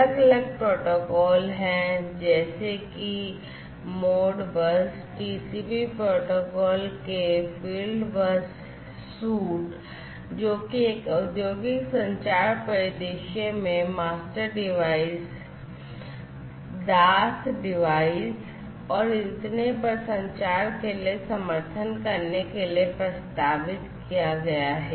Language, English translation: Hindi, And there are different protocols such as the Modbus TCP the fieldbus suite of protocols etcetera etcetera, which have been proposed in order to have support for communication between master devices, slave devices, and so on in an industrial communication scenario